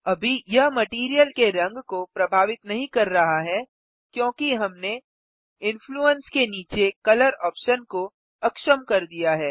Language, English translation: Hindi, Right now it is not influencing the material color because remember we disabled the color option under Influence